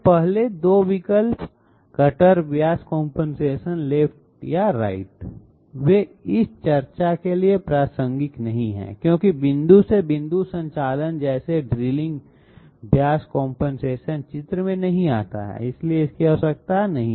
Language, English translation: Hindi, The 1st two first two options, cutter diameter compensation left or right, they are not relevant to this discussion because in point to point operations like drilling cutter diameter compensation does not come into the picture, it is not required